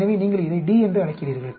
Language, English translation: Tamil, So you call this D